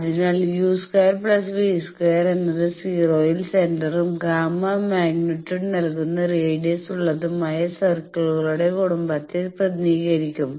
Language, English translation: Malayalam, So, u square plus v square will represent circles family of circles with centre at 0 and radius a radius given by the gamma magnitude